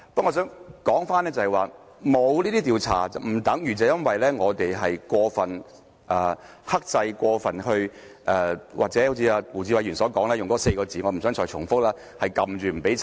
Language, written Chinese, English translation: Cantonese, 我認為沒有這些調查，不等於因為我們過分克制或好像胡志偉議員所說的那4個字——我不想重複——是壓制着不許調查。, In my view having no investigations does not mean that we have been overly restraining ourselves or suppressing or disallowing any requests for investigation―I do not want to repeat the expression used by Mr WU Chi - wai